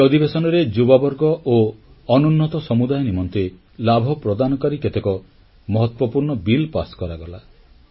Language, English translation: Odia, A number of importantbills beneficial to the youth and the backward classes were passed during this session